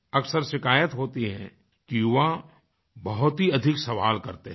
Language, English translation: Hindi, There is a general complaint that the younger generation asks too many questions